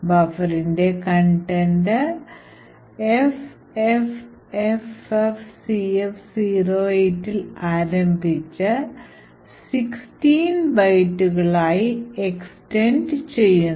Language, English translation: Malayalam, Now what you see in that the contents of the buffer starts at FFFFCF08 and extends for 16 bytes